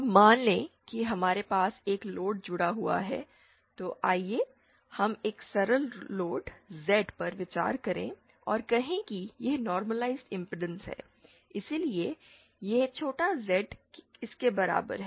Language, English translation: Hindi, Now suppose we have a load connected let us consider a simple load Z and say it is normalised impedance is this, so this small z is equal to this